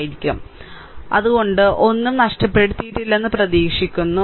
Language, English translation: Malayalam, So, I hope I have not missed anything, right